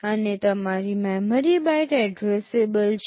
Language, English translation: Gujarati, And your memory is byte addressable